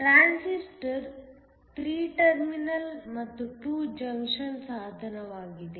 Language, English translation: Kannada, A Transistor is a 3 terminal and 2 junction device